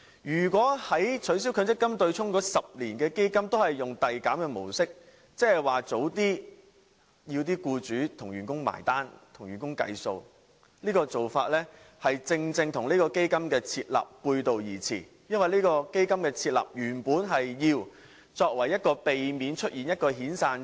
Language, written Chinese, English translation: Cantonese, 如果取消強積金對沖的10年基金也使用遞減的模式，即是要求僱主提早替員工"埋單"計數，這種做法正正與設立基金的目的背道而馳，因為設立基金的原意是作為緩衝區，避免出現遣散潮。, The intention was to induce owners to replace their vehicles sooner . This is logical and imaginable . But if the same progressive reduction model is applied to the 10 - year fund for the abolition of the MPF offsetting arrangement it means asking employers to settle the bill with employees sooner